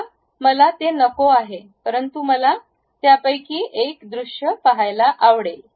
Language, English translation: Marathi, Now, I do not want that, but I would like to see one of this particular view